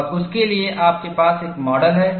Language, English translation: Hindi, And you have a model for that